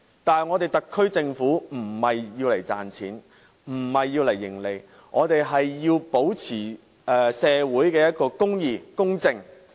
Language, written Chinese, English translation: Cantonese, 但是，特區政府並非要賺錢，並非要謀利，我們要保持社會公義和公正。, The Special Administrative Region SAR Government however does not aim at making money or seeking profits . We need to uphold social justice and fairness